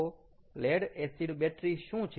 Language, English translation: Gujarati, ok, so what is the lead acid battery